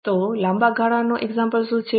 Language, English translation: Gujarati, So, what are the examples of long term